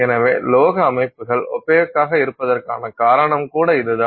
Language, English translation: Tamil, So, that's the reason why metallic systems are opaque